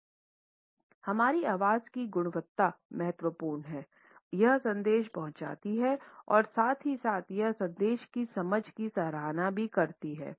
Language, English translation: Hindi, Our voice quality is important it conveys the message and at the same time it also compliments the understanding of this message